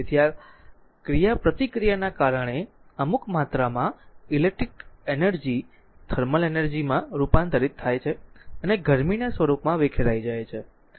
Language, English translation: Gujarati, So, because of the your course of these interaction some amount of electric energy is converted to thermal energy and dissipated in the form of heat